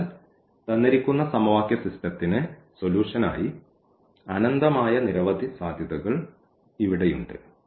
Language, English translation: Malayalam, So, here we have infinitely many possibilities for the solution of the given system of equations